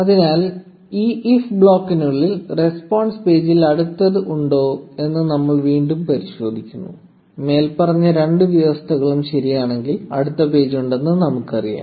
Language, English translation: Malayalam, So, inside this if block, we again check if next in response paging; and if both the above conditions hold true, we know that there is a next page